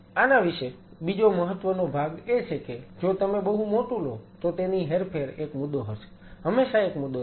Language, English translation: Gujarati, Second important part about this is that if you take a very big one then its movement will be an issue, will be always an issue